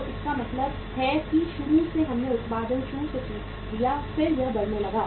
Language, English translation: Hindi, So it means initially we started manufacturing the production then it started rising